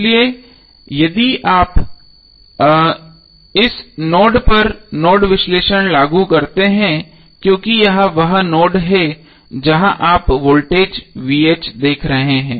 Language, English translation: Hindi, So if you apply the nodal analysis at this node because this is the node where you are seeing the voltage VTh